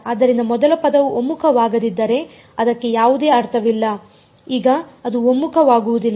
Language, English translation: Kannada, So, if the first term itself does not converge there is no point going for that now its not going to converge